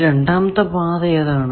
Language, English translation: Malayalam, What was the second path